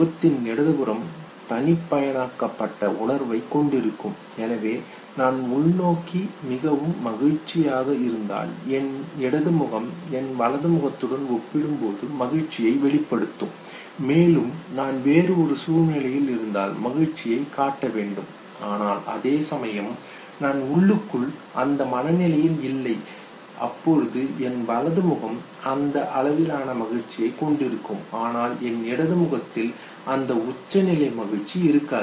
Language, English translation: Tamil, Okay, the left side of the face will have more and more of the personalized feeling, so the same if I am inwardly very, very happy, my left face will show pronounced happiness compared to my right face, and say if I am in a situation where I have to show happiness okay, whereas internally I am not, my right face okay will have that very degree of happiness, where as my left face will not have that pronounced degree of happiness